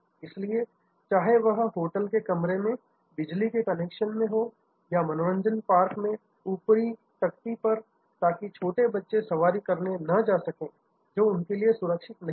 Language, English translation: Hindi, So, whether it is in the electrical connections in the hotel room or the height bar at the amusement park so, that young children cannot go to rides, which are not the safe for them